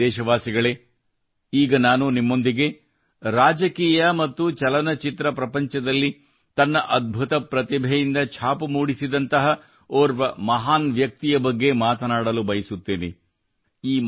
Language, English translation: Kannada, My dear countrymen, I am now going to discuss with you about a great personality of the country who left an indelible mark through the the strength of his amazing talent in politics and the film industry